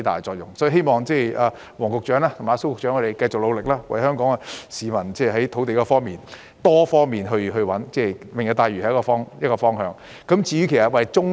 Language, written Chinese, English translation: Cantonese, 所以，我希望黃局長和蘇副局長繼續努力，為了香港市民，循多方面尋找土地，例如"明日大嶼願景"便是一個方法。, Therefore I hope Secretary WONG and Under Secretary SO will continue their efforts to identify land in various ways for Hong Kong people an example of which is the Lantau Tomorrow Vision